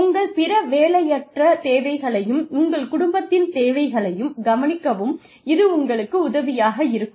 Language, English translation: Tamil, So, that helps you, look after your other nonwork needs, and the needs of your family